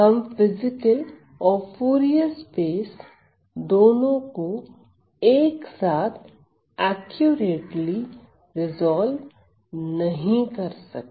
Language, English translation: Hindi, So, we cannot accurately resolve both the physical and the Fourier space simultaneously ok